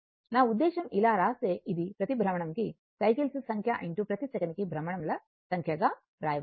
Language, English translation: Telugu, So, this can be written as number of cycles per revolution into number of revolution per second